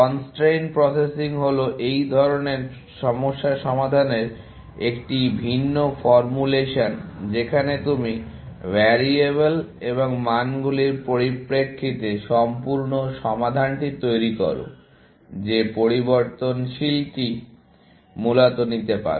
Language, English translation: Bengali, Constrain processing is just a different formulation of solving such problems in which, you formulate the entire problem in terms of variables, and values, that variable can take, essentially